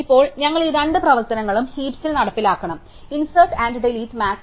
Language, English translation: Malayalam, So, now we have to implement these two operations on heaps, insert and delete max